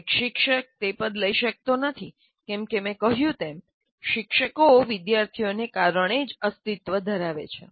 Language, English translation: Gujarati, You cannot take that situation because, as I said, we exist because of the students